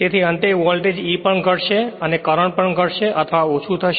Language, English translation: Gujarati, So, finally, that voltage E also will reduce and the current also will reduce or diminished right